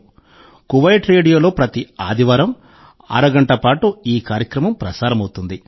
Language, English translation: Telugu, It is broadcast every Sunday for half an hour on Kuwait Radio